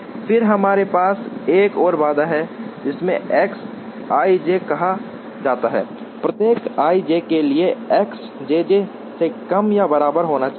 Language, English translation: Hindi, Then we have another constraint, which is called X i j, should be less than or equal to X j j for every i j